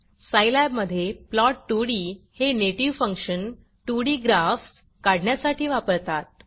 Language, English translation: Marathi, For scilab plot 2d is the native function used to plot 2d graphs